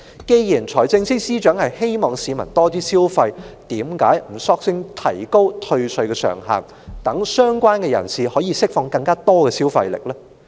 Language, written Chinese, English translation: Cantonese, 既然財政司司長希望市民多消費，為何不乾脆提高退稅上限，讓相關人士釋放更多消費力呢？, Given that the Financial Secretary hoped that the people would spend more why does he not simply lift the ceiling for the tax rebate and unleash more spending power from the people concerned?